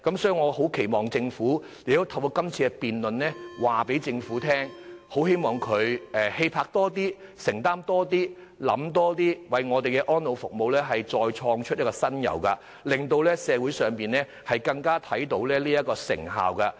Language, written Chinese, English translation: Cantonese, 所以我期望透過今次辯論告訴政府，希望它能以更大氣魄和承擔精神，多想一步，為香港的安老服務再創新猷，在這方面發揮更大的成效。, I therefore hope to reflect to the Government with this debate held today that it is expected to demonstrate greater courage and commitment and consider going one step further to introduce additional new measures with a view to enhancing the effectiveness of elderly care services provided in Hong Kong